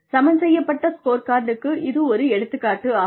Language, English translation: Tamil, This is an example of a balanced scorecard